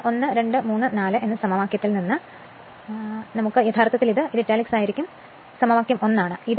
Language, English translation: Malayalam, So, actually this is your, what you call, this this one will be italic right, this one actually, it is actually equation 1